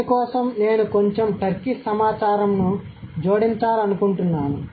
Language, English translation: Telugu, For this I would like to add a bit of Turkish data